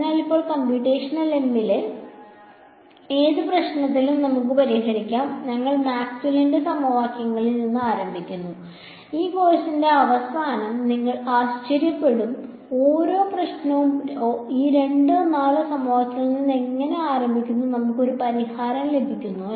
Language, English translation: Malayalam, So, now, let us start with as with any problem in computational em we start with Maxwell’s equations right, at the end of this course you will be amazed that how every problem we just start with these two or four equations and we get a solution ok